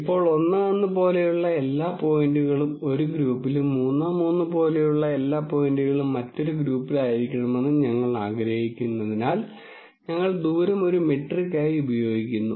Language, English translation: Malayalam, Now, since we want all the points that are like 1 1 to be in one group and all the points which are like 3 3 to be in the other group, we use a distance as a metric for likeness